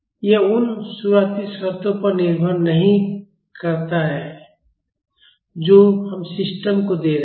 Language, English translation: Hindi, It does not depend upon the initial conditions we are giving to the system